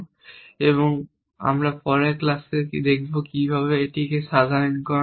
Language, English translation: Bengali, And we will see in the next class little bit about how this can be generalized